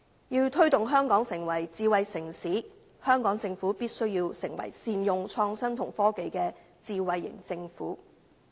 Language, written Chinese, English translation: Cantonese, 要推動香港成為智慧城市，香港政府必須成為善用創新及科技的智慧型政府。, To promote Hong Kong to become a smart city the Hong Kong Government must develop into a smart government which makes good use of innovation and technology